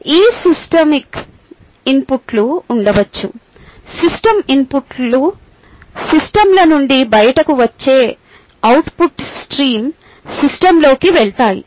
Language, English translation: Telugu, and there could be inputs, there could be output streams that come out of the system